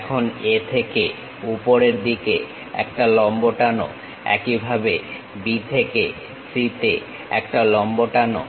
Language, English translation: Bengali, Now, from A drop a perpendicular all the way up; similarly, drop a perpendicular all the way from B to C